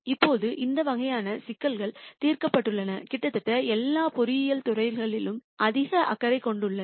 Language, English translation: Tamil, Now, these types of problems have been solved and are of large interest in almost all engineering disciplines